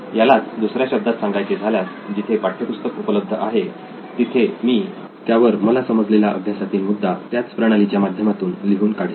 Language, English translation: Marathi, In the other cases, where textbook is there I write my own understanding of that topic in my textbook in the same system